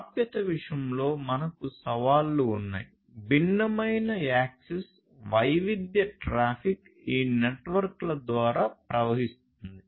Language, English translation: Telugu, We have challenges with respect to access; there is heterogeneous access, heterogeneous, a heterogeneous traffic flowing through these networks